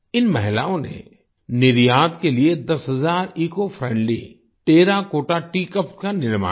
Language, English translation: Hindi, These women crafted ten thousand Ecofriendly Terracotta Tea Cups for export